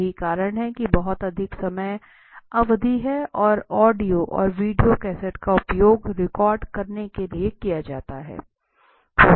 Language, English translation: Hindi, So that is why it is very longer time period and audio and video cassette are used to record